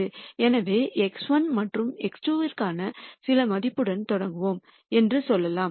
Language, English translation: Tamil, So, let us say we start with some value for x 1 and x 2